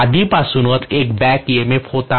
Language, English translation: Marathi, There was a back EMF already